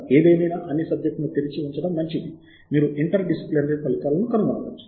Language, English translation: Telugu, however, is again advisable to keep all the subject areas open so that you may find interdisciplinary results that will be showing up